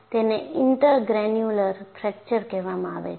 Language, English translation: Gujarati, So, that is called intergranular fracture